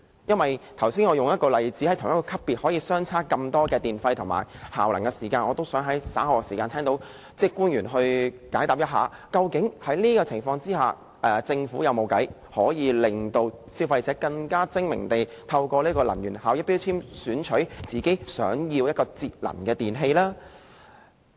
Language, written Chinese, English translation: Cantonese, 在我剛才舉出的例子中，屬同一級別能源標籤的電器，電費及效能可以相差這麼多，我也希望稍後聽到官員解答，究竟在這個情況下，政府有否方法可以令消費者更精明地透過能源標籤選購節能的電器。, In the example given by me earlier the energy efficiency performances of different electrical appliances with the same grade of energy labels and the electricity charges incurred differ greatly . I hope to hear from public officers later regarding whether the Government can under the circumstances enable consumers to make an informed choice to buy energy - saving electrical appliances by means of energy labels